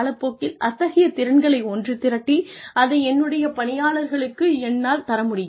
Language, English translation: Tamil, By the time, I am able to organize those skills, and deliver them, give them to my employees